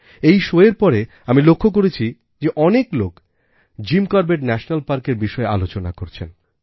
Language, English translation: Bengali, After the broadcast of this show, a large number of people have been discussing about Jim Corbett National Park